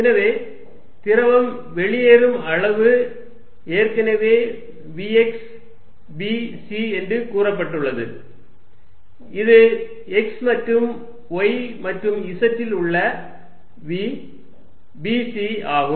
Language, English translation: Tamil, So, fluid leaving, magnitude be already said is v x b c which is v at x and y and z b c and which component the component the minus x direction